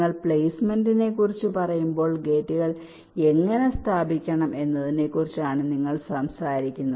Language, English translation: Malayalam, when you talk about placements, you are talking about the same thing: how to place the gates